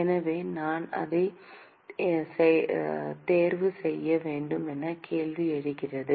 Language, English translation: Tamil, So, the question comes in which one should I choose